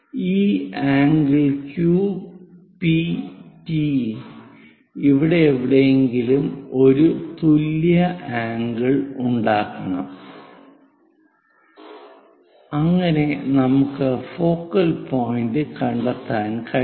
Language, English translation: Malayalam, This Q P T supposed to make an equal angle at somewhere here to locate focal point